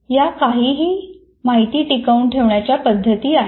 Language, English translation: Marathi, These are some retention strategies